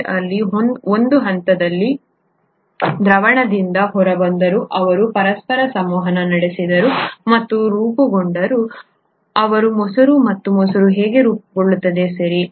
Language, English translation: Kannada, At one point in in pH, they came out of solution, they interacted with each other and formed, they curdled and that’s how curd gets formed, right